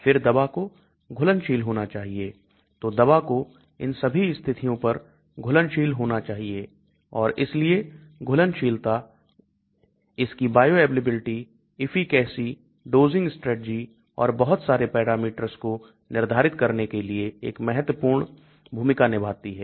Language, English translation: Hindi, Again, the drug has to be soluble so drug has to be soluble at all these conditions and hence solubility plays a very important role in determining its bioavailability, efficacy, dosing strategy and so many parameters